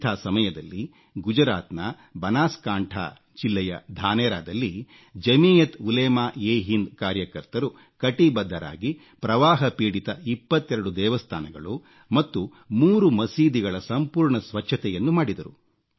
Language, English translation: Kannada, That is when, in Dhanera in the Banaskantha District of Gujarat, volunteers of JamiatUlemaeHind cleaned twentytwo affected temples and two mosques in a phased manner